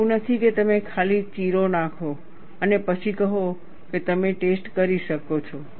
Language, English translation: Gujarati, It is not that, you simply put a slit and then say, that you can do the test